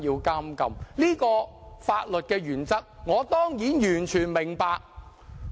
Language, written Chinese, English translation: Cantonese, 這個法律的原則，我當然完全明白。, I certainly fully understand this principle in law